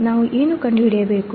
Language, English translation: Kannada, What we have to find